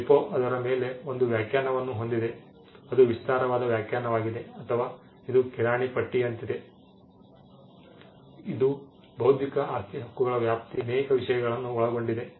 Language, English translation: Kannada, The WIPO has a definition on it is an expansive definition or which is more like a grocery list, it includes many things under the ambit of intellectual property rights